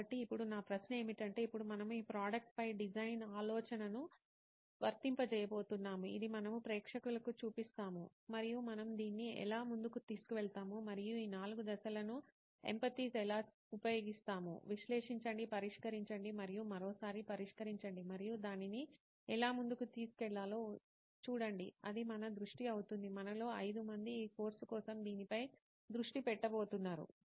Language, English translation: Telugu, So now my question will be to look ahead and say now we are going to apply design thinking as such on this product which we will show to the audience of course and how do we take this forward and how do we use this four steps of empathize, analyze, solve and test again one more time and see how to move it forward that is going to be our focus the 5 of us are going to focus on this for this course